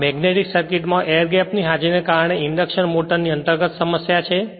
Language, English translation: Gujarati, This is the inherent problem of the induction motor because of the presence of the air gap in the magnetic circuit right